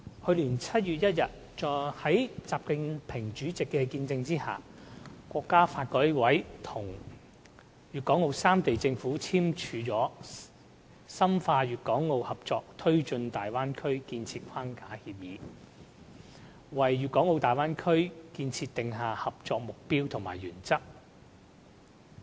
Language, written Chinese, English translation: Cantonese, 去年7月1日，在習近平主席的見證下，國家發展和改革委員會與粵港澳三地政府簽署了《深化粵港澳合作推進大灣區建設框架協議》，為大灣區建設訂下合作目標和原則。, On 1 July last year under the witness of President XI Jinping the National Development and Reform Commission NDRC and the governments of Guangdong Hong Kong and Macao signed the Framework Agreement on Deepening Guangdong - Hong Kong - Macao Cooperation in the Development of the Bay Area which lays down the objectives and principles of cooperation for Bay Area development